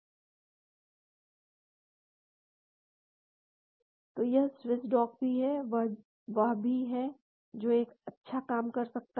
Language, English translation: Hindi, And also this Swiss dock is also there, which can also do a good job